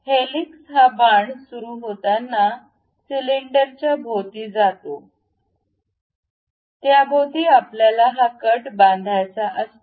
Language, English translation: Marathi, So, helix begins at starting of this arrow, goes around the cylinder around which we want to construct this cut